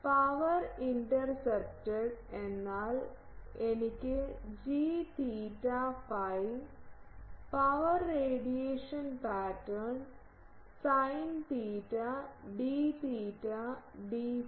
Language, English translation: Malayalam, Power intercepted means I have g theta phi is the power radiation pattern, sin theta d theta d phi